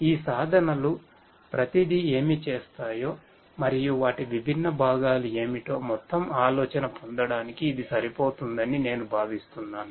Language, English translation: Telugu, I think this is sufficient just to get an overall idea of what each of these tools do and what are their different component